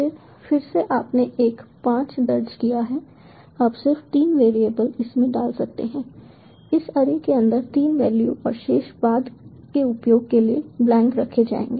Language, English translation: Hindi, you can just put in three variable, three values inside this array and the remaining will be kept blank, maybe for later use